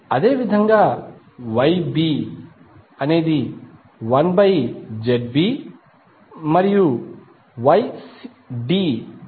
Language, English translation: Telugu, Similarly Y B is 1 by Z B and Y D 1 by Z D